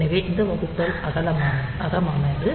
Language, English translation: Tamil, So, this division is internal